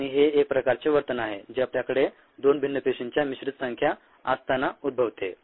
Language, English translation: Marathi, and this is what, ah, this is a kind of behavior that arises when you have a mixed population of two different cell types